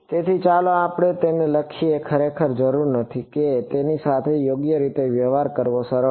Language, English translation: Gujarati, So, let us write it actually need not be it is easy to deal with it right